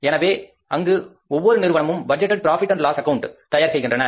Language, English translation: Tamil, Every firm prepares a budgeted profit and loss account